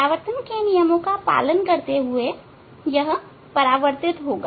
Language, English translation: Hindi, Following the laws of reflection, it will be reflected